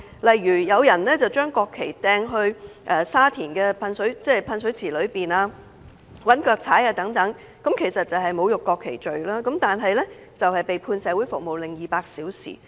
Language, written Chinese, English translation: Cantonese, 例如有人將國旗丟進沙田的噴水池、又用腳踐踏國旗，亦即干犯侮辱國旗罪，但最後只被判社會服務令200小時。, For instance a person threw a national flag into a fountain in Sha Tin and trampled on it which is an offence of desecration of the national flag yet the person was merely sentenced to 200 hours of community service